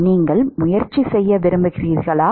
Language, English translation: Tamil, You want to try